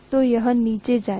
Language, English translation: Hindi, So it will go down